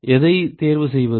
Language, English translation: Tamil, Which one to choose